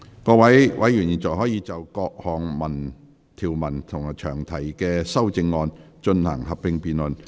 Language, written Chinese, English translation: Cantonese, 各位委員現在可以就各項條文及詳題的修正案，進行合併辯論。, Members may now proceed to a joint debate on the clauses and the amendment to the long title